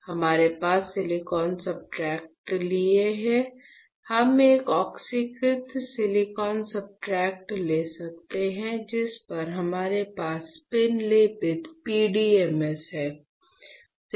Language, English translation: Hindi, We have taken a silicon substrate; we can take an oxidized silicon substrate, on which we have spin coated PDMS right